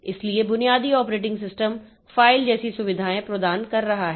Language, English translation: Hindi, So, basic operating system is providing us facilities like file and all